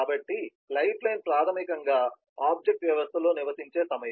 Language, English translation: Telugu, so lifeline is basically the time through which the object lives in the system